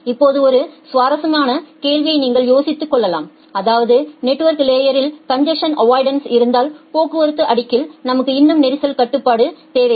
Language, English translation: Tamil, Now one interesting question that you can think of that if congestion avoidance is there in the network layer, do we still need congestion control at the transport layer